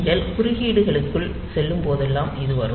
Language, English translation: Tamil, So, this will come when you go into the interrupts